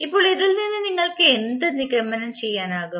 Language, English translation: Malayalam, Now from this what you can conclude